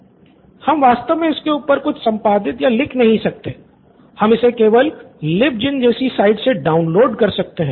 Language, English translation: Hindi, We cannot actually edit or write on top of it but we can just download it from sites like LibGen